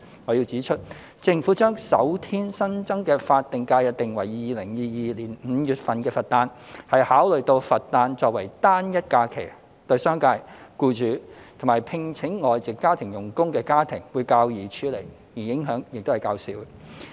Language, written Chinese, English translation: Cantonese, 我要指出，政府將首天新增的法定假日定為2022年5月的佛誕，是考慮到佛誕作為單一假期，對商界、僱主及聘請外籍家庭傭工的家庭會較易處理，而影響亦較少。, I must point out that the Government designated the Birthday of the Buddha that would fall in May 2022 as the first additional SH based on the consideration that it is a stand - alone holiday hence it is more manageable and less impactful for businesses employers and households with foreign domestic helpers FDHs